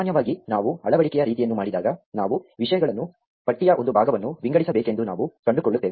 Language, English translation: Kannada, In general, when we do insertion sort we will find that we need to sort things a segment of the list